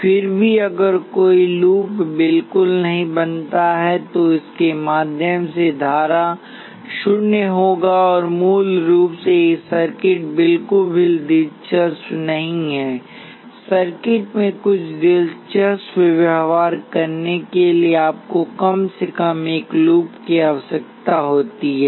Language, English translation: Hindi, Still if the no loop is formed at all then the current through this will be zero basically these circuits are not interesting at all to have some interesting behavior in the circuit you need to have at least one loop